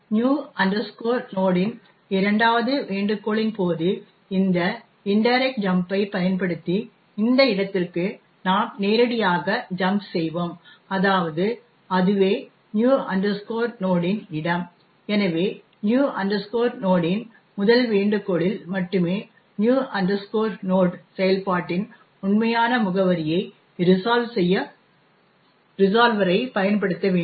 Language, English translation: Tamil, Now, during the second invocation of new node we would directly jump using this indirect jump to this location, that is, the location of new node itself and therefore only the first invocation of new node would actually require the resolver to be used in order to resolve the actual address of the new node function